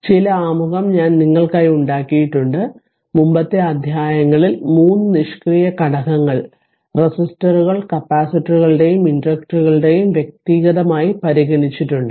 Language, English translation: Malayalam, So, first ah some introduction I have made it for you that in the previous chapters we have considered 3 passive elements resistors capacitors and inductors individually